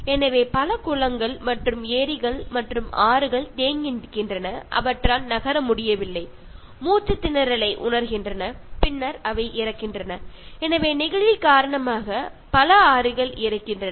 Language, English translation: Tamil, So, we have heard that so many pools and lakes and rivers getting stagnant and they are not able to move, they feel choked and then they die, so rivers die, just because of plastics